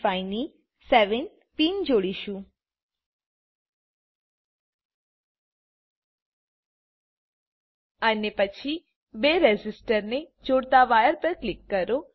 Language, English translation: Gujarati, Click on the 7th pin of IC 555 and then on the wire connecting the two resistors